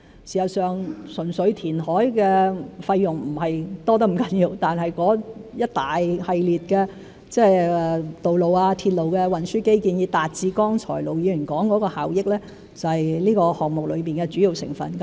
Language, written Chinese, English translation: Cantonese, 事實上，純粹填海的費用不是多得太厲害，但一系列的道路、鐵路的運輸基建以達致剛才盧議員說的效益，是這個項目中的主要成分。, In fact the costs incurred by reclamation alone are not exorbitantly high but a series of roads and railway - related transport infrastructure required in order to achieve the benefits expounded by Ir Dr LO earlier is the key component of this project